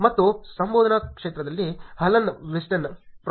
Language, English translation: Kannada, And in the research domain, Alan Westin; Prof